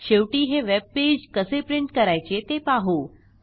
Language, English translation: Marathi, Finally, lets learn how to print this web page